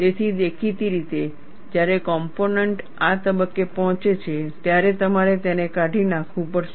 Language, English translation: Gujarati, So, obviously, when the component reaches this stage, you have to discard it